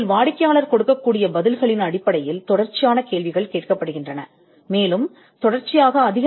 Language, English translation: Tamil, You could also get your information through an online questionnaire, where a series of questions are asked, based on the reply given by the client